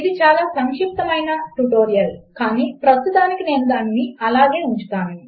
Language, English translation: Telugu, Its a very brief tutorial but I will keep it like that at the moment